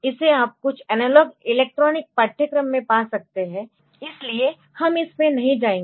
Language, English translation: Hindi, So, that you can find in some analog electronic course so, we will not go into that